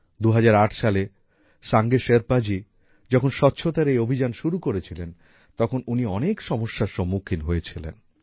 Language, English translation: Bengali, When Sange Sherpa ji started this campaign of cleanliness in the year 2008, he had to face many difficulties